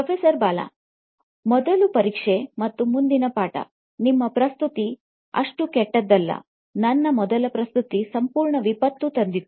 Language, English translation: Kannada, The test first and the lesson the next, you are presentation wasn’t so bad, my first presentation was a complete disaster